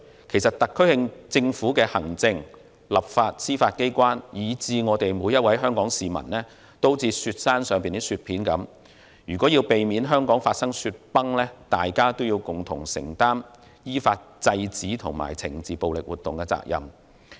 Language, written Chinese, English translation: Cantonese, 其實，特區政府的行政、立法、司法機關，以至每位香港市民都有如雪山上的雪片，如要避免香港發生雪崩，大家便要共同承擔依法制止和懲治暴力活動的責任！, As a matter of fact the executive legislative and judicial branches of the SAR Government as well as every single citizen in Hong Kong are like snow blocks of a snowy mountain and in order to avoid an avalanche in Hong Kong we must shoulder the responsibility for curbing and punishing violence in accordance with the law!